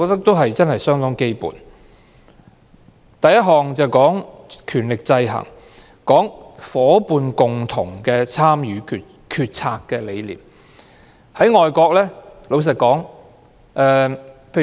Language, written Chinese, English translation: Cantonese, 第一項是權力制衡，也提到"學校伙伴共同參與決策"的理念。, The first item is about ensuring proper check and balance on the governance powers of schools and it also refers to the concept of participatory school management